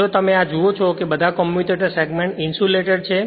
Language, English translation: Gujarati, If you look into this that all commutator segments are insulated right